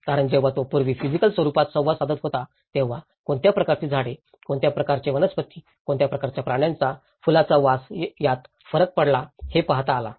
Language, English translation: Marathi, Because when he was interacting earlier in the physical form, he was able to see what kind of trees, what kind of flora, what kind of fauna even a smell of flower makes a big difference